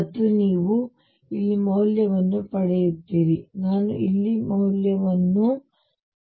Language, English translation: Kannada, And you get a value here, I will get a value here, I get a value here and so on